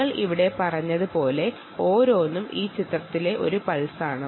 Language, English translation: Malayalam, like what we said here, each one is a pulse